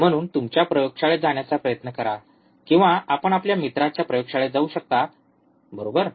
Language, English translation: Marathi, So, try to go to your laboratory, or you can access your friend's lab, right